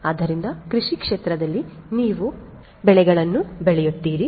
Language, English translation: Kannada, So, agricultural field you know in the field you would be growing the crops